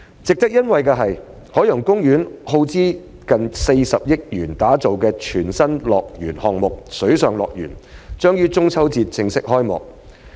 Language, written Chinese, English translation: Cantonese, 值得欣慰的是，海洋公園耗資逾40億元打造的全新樂園項目——水上樂園——將於中秋節正式開幕。, I am delighted to learn that Water World the brand new facility of OP developed with a cost of over 4 billion will be officially opened on the Mid - Autumn Festival